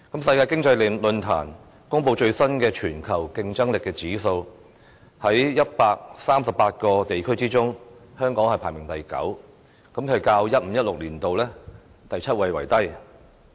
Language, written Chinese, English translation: Cantonese, 世界經濟論壇所公布最新的全球競爭力指數，在138個地區之中，香港排行第九，較 2015-2016 年度的第七位為低。, In the latest Global Competitiveness Index released by the World Economic Forum the ranking of Hong Kong among all the 138 economies is No . 9 which is lower than the seventh position it earned in 2015 - 2016